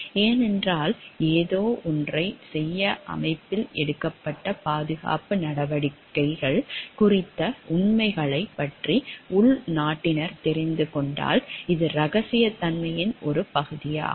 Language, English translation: Tamil, Because it is a part of confidentiality of we as insiders have get to know about the facts about the safety measures taken by the organization to do something